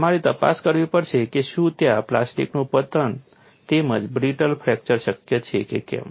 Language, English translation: Gujarati, You have to investigate whether that could be plastic collapse as well as brittle fracture possible